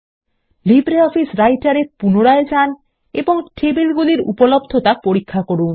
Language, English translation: Bengali, And reopen LibreOffice Writer to check the tables availability again